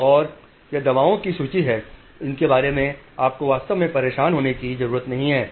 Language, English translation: Hindi, And here is the list of drugs which you don't have to really bother about it